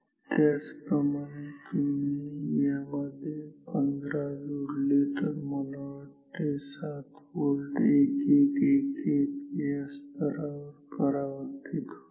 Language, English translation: Marathi, Similarly, if you add 15 to this so, I think 7 volt will get mapped to this level 1 1 1 1 ok